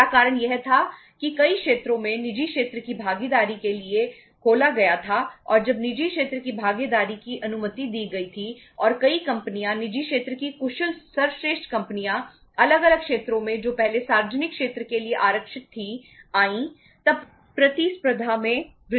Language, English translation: Hindi, First reason was that many sectors were opened up for the private sector participation and when the private sector participation was allowed and many companies private sector efficient best companies came into the different sectors earlier reserved for the public sector then competition increased